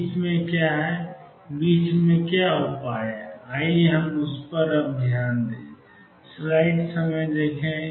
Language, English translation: Hindi, What about in between, what is the solution in between; let us focus on that